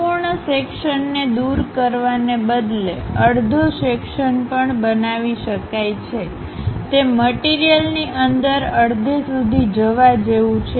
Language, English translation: Gujarati, Instead of removing complete full section, one can make half section also; it is more like go half way through the object